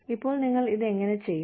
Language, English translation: Malayalam, Now, how do you do this